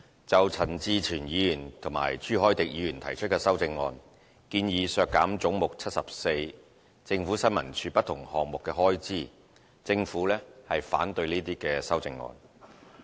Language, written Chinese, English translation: Cantonese, 就陳志全議員和朱凱廸議員提出的修正案，建議削減"總目 74― 政府新聞處"不同項目的開支，政府反對這些修正案。, The Government is opposed to the amendments proposed by Mr CHAN Chi - chuen and Mr CHU Hoi - dick which seek to cut the various expenses under Head 74―Information Services Department ISD